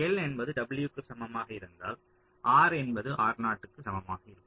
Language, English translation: Tamil, you see, if l is equal to w, then r is the same as r box